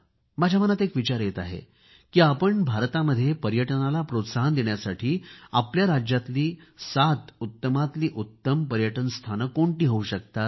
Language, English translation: Marathi, A thought comes to my mind, that in order to promote tourism in India what could be the seven best tourist destinations in your state every Indian must know about these seven tourist spots of his state